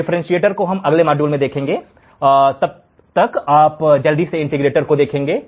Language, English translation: Hindi, We will see the differentiator in the next module, till then you just quickly see the integrator